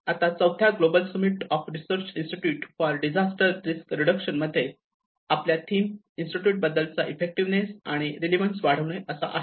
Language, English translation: Marathi, Now, in the recent the fourth summit, global summit of research institutes for disaster risk reduction, the theme is about the increasing the effectiveness and relevance of our institutes how we can increase